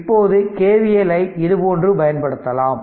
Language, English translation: Tamil, Now we apply you apply KVL like this